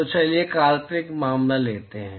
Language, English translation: Hindi, So, let us take a hypothetical case